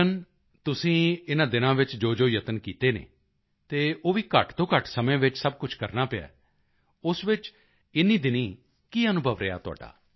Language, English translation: Punjabi, Captain the efforts that you made these days… that too you had to do in very short time…How have you been placed these days